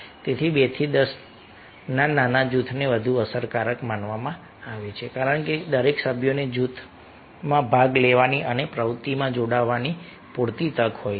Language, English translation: Gujarati, so small group of two to ten or thought to be more effective because each members has ample opportunity to take part and engage activity in the group